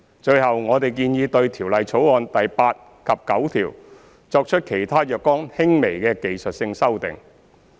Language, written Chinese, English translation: Cantonese, 最後，我們建議對《條例草案》第8及9條作出其他若干輕微的技術性修訂。, Finally we have proposed to make some other minor technical amendments to clauses 8 and 9 of the Bill